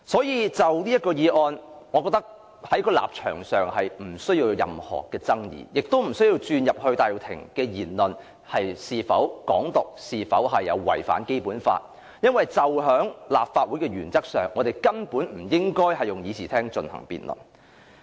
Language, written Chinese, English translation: Cantonese, 因此，就此議案，我覺得我們的立場沒有任何爭議，亦不需要討論戴耀廷的言論是否宣揚"港獨"及有違《基本法》，因為根據立法會的職權和功能，我們根本不應該在會議廳就此事進行辯論。, Therefore as regards this motion I think there is no controversy surrounding our standpoint . Nor is there a need for a discussion on whether Benny TAIs remark propagates Hong Kong independence and violates the Basic Law because in keeping with the terms of reference and functions of the Legislative Council we should absolutely not hold a discussion on this matter in the Chamber